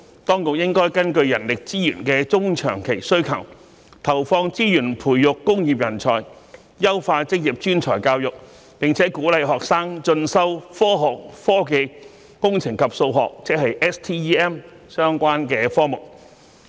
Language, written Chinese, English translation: Cantonese, 當局應根據人力資源的中長期需求，投放資源培育工業人才，優化職業專才教育，並鼓勵學生進修科學、科技、工程及數學相關科目。, The Government should allocate resources to nurture industrial talents according to the medium and long - term manpower needs improve vocational and professional education and training and encourage students to study subjects related to science technology engineering and mathematics